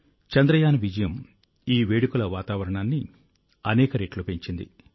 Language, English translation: Telugu, The success of Chandrayaan has enhanced this atmosphere of celebration manifold